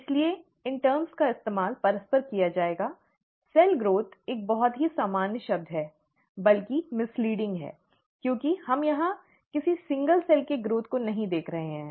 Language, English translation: Hindi, So these terms will be used interchangeably; cell growth is a very ‘common term’, rather misleading because we are not looking at the growth of a single cell here